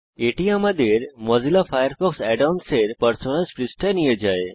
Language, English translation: Bengali, This takes us to the Personas page for Mozilla Firefox Add ons